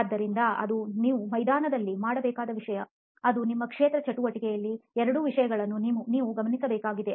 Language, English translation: Kannada, So that is something that you will have to do on the field, those are two things that you will have to note down in your field activity